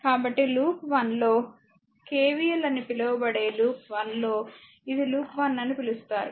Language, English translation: Telugu, So, this is your what you call that in loop 1 that is your KVL in loop 1, right this is loop 1